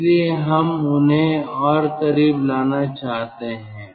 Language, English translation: Hindi, so we want to bring them closer